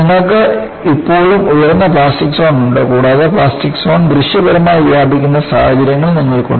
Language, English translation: Malayalam, You have still higher plastic zone and you also have situations, where the plastic zone is visibly spread